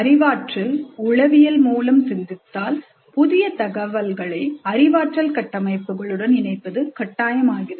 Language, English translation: Tamil, From the cognitive psychology, it is well known that it is very important to link new information to the existing cognitive structures